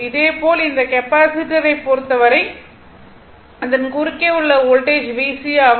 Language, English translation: Tamil, Similarly, for this capacitor it is a voltage across this VC, it is the peak value 127